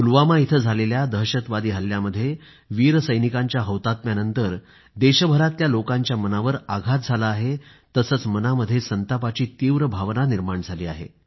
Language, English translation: Marathi, As a consequence of the Pulwama terror attack and the sacrifice of the brave jawans, people across the country are agonized and enraged